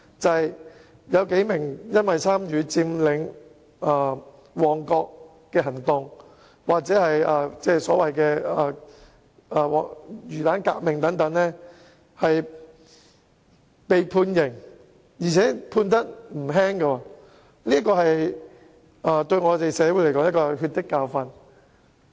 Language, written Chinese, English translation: Cantonese, 例如，有數名人士因參與佔領旺角行動——即所謂"魚蛋革命"——而被判刑，而且刑罰不輕，對社會來說，可說是血的教訓。, For instance several persons were convicted and sentenced for taking part in the Occupy Mong Kok movement―the so - called fishball revolution . The penalties were by no means light . Insofar as society is concerned this is a lesson of blood